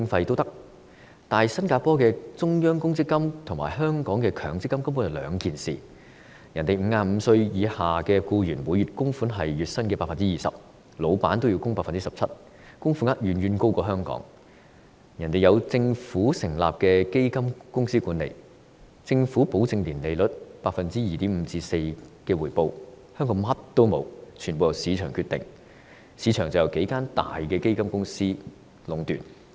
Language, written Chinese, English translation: Cantonese, 然而，新加坡的中央公積金和香港的強積金根本是兩回事，新加坡55歲以下僱員的每月供款是月薪 20%， 僱主也要供款 17%， 供款額遠高於香港；而且新加坡有政府成立的基金公司管理，由政府保證年利率 2.5% 至 4% 的回報，但香港卻甚麼也沒有，全部由市場決定，但市場則由數間大型基金公司壟斷。, In Singapore the monthly contribution of employees aged under 55 reaches 20 % of their monthly salary and the contribution of employers is 17 % . The amount of contribution is much higher than that of Hong Kong . Meanwhile in Singapore the Fund is managed by fund companies set up by the Government which guarantees a return at an annual interest rate of 2.5 % to 4 %